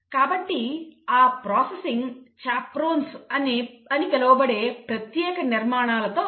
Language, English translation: Telugu, So, that processing happens inside special structures which are called as chaperones